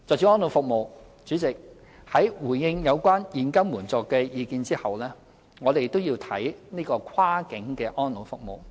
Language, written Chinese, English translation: Cantonese, 主席，在回應有關現金援助的意見後，我們都要看看跨境的安老服務。, President having responded to Members views on cash assistance we have to talk about cross - boundary elderly care services